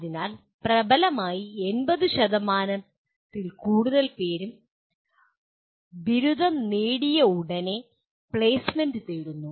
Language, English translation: Malayalam, So, dominantly more than 80% are seeking placement immediately after graduation